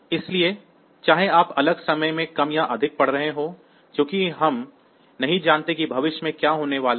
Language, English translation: Hindi, So, irrespective of whether you are reading a low or a high at the next point of time; since we do not know that in what is going to happen in future